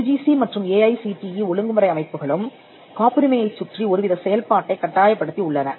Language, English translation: Tamil, The UGC and the AICTE regulatory bodies have also mandated some kind of activity around patents for instance